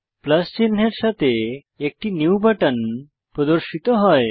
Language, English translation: Bengali, A new button with a plus sign has appeared